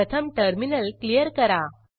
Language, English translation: Marathi, Lets clear the terminal first